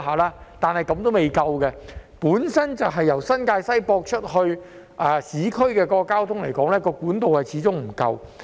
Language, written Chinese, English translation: Cantonese, 不過，這樣仍然未足夠，由新界西接駁到市區的交通始終不足夠。, Nevertheless this is still not enough . The transport connection between New Territories West and the urban areas is insufficient after all